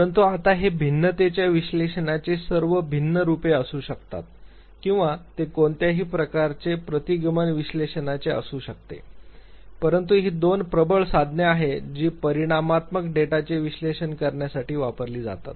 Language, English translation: Marathi, So, it could be now all different formats of analysis of variance or it could be any form of regression analysis, but these are the two dominant tools which are used to analyze quantitative data